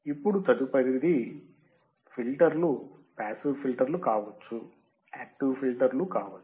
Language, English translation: Telugu, Now, next is filters can be passive filters, can be active filters